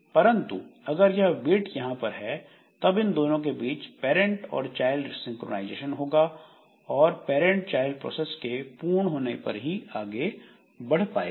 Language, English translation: Hindi, But if this weight is there then there may be synchronization between parent and child so parent will wait for the child to be over and then only it will continue